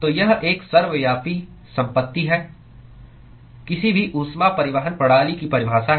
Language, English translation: Hindi, So, this is a ubiquitous property of a definition of any heat transport system